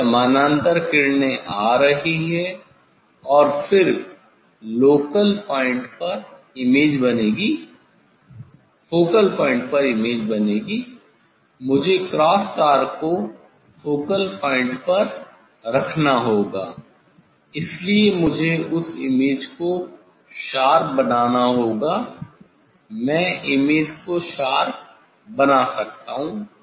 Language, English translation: Hindi, this parallel rays are coming and then image will format the focal point, I have to put the cross wire at the focal point so that is why I have to make that image sharp; I can make the image sharp